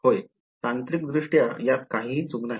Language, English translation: Marathi, Yes, technically there is nothing wrong with this